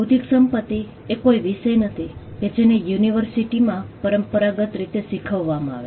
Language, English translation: Gujarati, Intellectual property is not a subject that is traditionally taught in universities